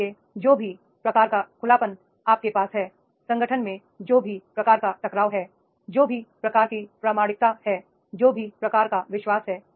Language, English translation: Hindi, So, therefore whatever type of the openness you are having, whatever type of the confrontation is there in the organization, whatever type of the authenticity is there, whatever type of the trust is there